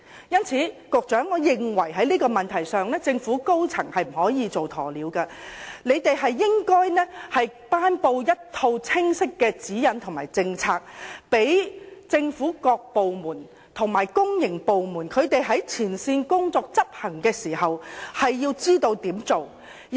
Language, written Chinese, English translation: Cantonese, 因此，局長，我認為在這個問題上，政府高層是不可以"做鴕鳥"的，他們應該頒布清晰的指引和政策，讓政府各部門和公營部門，在執行前線工作時知道應如何處理。, Hence Secretary the top echelons of the Government must not behave like an ostrich on this issue . They should announce clear guidelines and policies so that various government departments and public organizations will know what to do when carrying out frontline duties